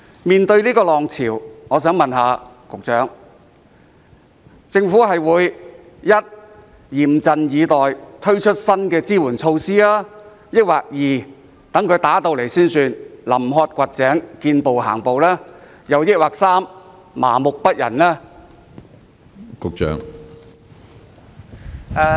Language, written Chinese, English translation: Cantonese, 面對這個浪潮，我想問局長:政府將會一嚴陣以待，推出新的支援措施；二到出現失業潮才臨渴掘井，見步行步；還是三麻木不仁呢？, In the face of such a wave may I ask the Secretary whether the Government will 1 address the matter seriously and introduce new supportive measures; 2 take action at the eleventh hour and play it by ear after the unemployment wave struck; or 3 adopt an apathetic attitude?